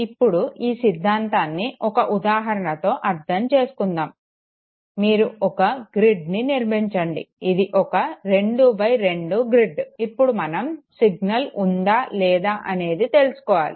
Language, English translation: Telugu, Let us understand this very theory by taking this example okay, you make a grid it is a two by two grid, so whether the signal is present or the signal is absent